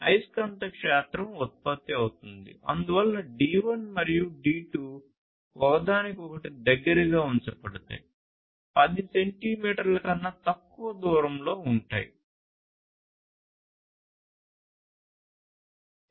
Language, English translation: Telugu, So, for it to happen you need to keep the D1 and the D2 pretty close to each other, less than 10 centimeters apart